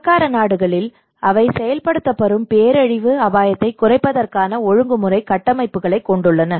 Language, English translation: Tamil, In the richer countries, they have the regulatory frameworks to minimise the disaster risk which are enforced